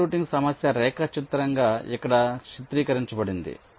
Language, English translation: Telugu, so so a channel routing problem is diagrammatically depicted like here